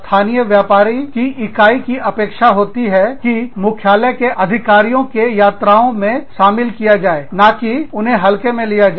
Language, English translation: Hindi, Local business units expect, to be included in executive visits from headquarters, not to be taken for granted